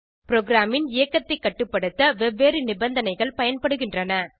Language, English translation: Tamil, Different conditions are used to control program execution